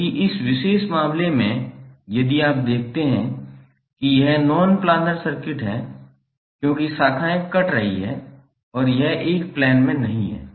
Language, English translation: Hindi, While in this particular case if you see this is non planar circuit because the branches are cutting across and it is not in a plane